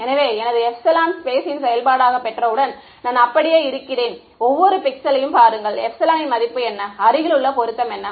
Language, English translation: Tamil, So, once I have got my this epsilon as a function of space, I just look up each pixel what is the value epsilon, what is the nearest fit